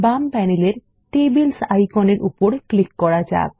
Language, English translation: Bengali, Let us click on the Tables icon on the left panel